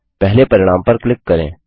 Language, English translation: Hindi, Click on the first result